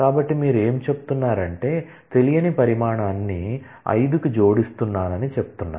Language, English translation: Telugu, So, what you are saying that I am adding an unknown quantity to 5